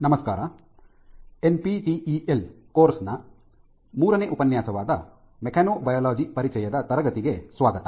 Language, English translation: Kannada, Hello, and welcome to our third lecture of the NPTEL course Introduction to Mechanobiology